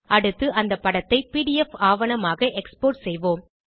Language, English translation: Tamil, Next lets export the image as PDF document